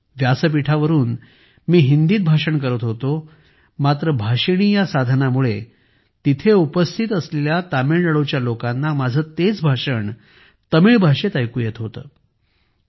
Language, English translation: Marathi, I was addressing from the stage in Hindi but through the AI tool Bhashini, the people of Tamil Nadu present there were listening to my address in Tamil language simultaneously